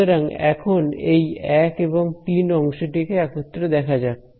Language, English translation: Bengali, So, now, let us look at these terms 1 and 3 together